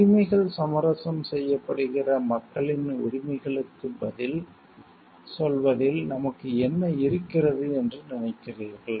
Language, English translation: Tamil, What do you think do we feel like we have towards answering to the rights of the people whose like rights are getting compromised